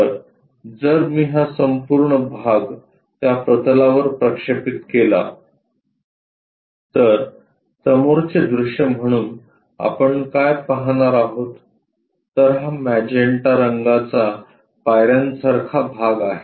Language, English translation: Marathi, So, if I am going to project this entire part onto that plane as the front view what we will be seeing is this magenta portion as steps